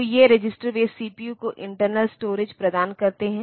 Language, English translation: Hindi, So, these registers they provide storage internal to the CPU